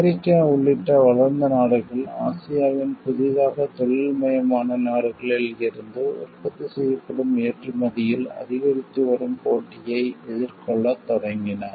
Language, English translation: Tamil, Developed countries including the United States started facing increasing competition in manufactured exports from Newly Industrializing Countries of Asia